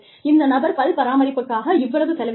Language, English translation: Tamil, So, this person is spending, so much on dental care